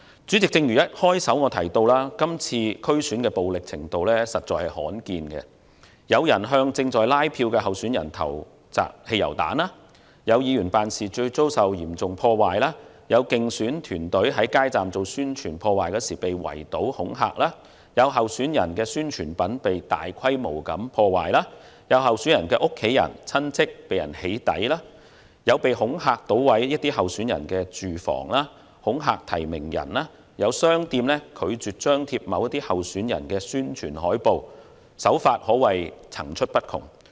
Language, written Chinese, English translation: Cantonese, 主席，正如我一開始提到，今次區選前的暴力程度罕見，有人向正在拉票的候選人投擲汽油彈、有議員辦事處遭受嚴重破壞、有競選團隊在街站做選舉宣傳時被圍堵恐嚇、有候選人宣傳品被大規模破壞、有候選人的家人及親戚被"起底"、恐嚇搗毀某些候選人的住房、恐嚇提名人、有商店拒絕張貼某些候選人的宣傳海報，手法可說是層出不窮。, President as I have said at the beginning of my speech the degree of violence involved in the run - up to the DC Election this year is rarely seen . Petrol bombs were hurled at some candidates engaging in canvassing activities members offices were severely vandalized electioneering teams campaigning at street booths were mobbed and intimidated the publicity materials of some candidates were damaged on a large scale family members and relatives of some candidates were doxxed threats were made to vandalize the homes of certain candidates nominators were intimidated some shops refused to display the publicity posters of certain candidates and all sorts of tricks have been used